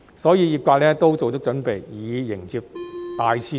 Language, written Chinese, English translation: Cantonese, 因此，業界都做足準備，以迎接大市場的來臨。, Therefore the industry is ready to welcome this huge market